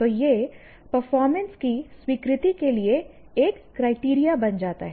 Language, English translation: Hindi, So, that becomes a criterion for acceptance of the performance